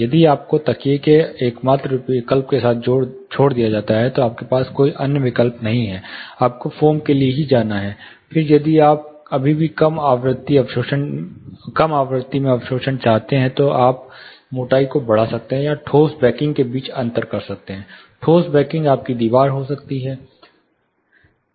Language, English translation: Hindi, If at all you are left with only option of cushion, you do not have any other option you have to go for foam, then if you still want low frequency absorption, then you can increase the thickness or the spacing between the solid backings, solid backing can be your wall